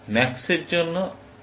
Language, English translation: Bengali, For max, it is this